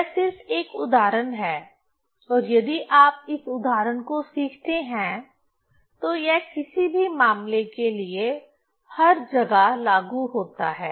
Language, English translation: Hindi, So, this is just one example and this if you learn this example, so it's applicable everywhere for any case